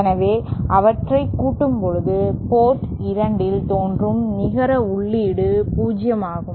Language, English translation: Tamil, So, when they sum up, the net input appearing at port 2 is 0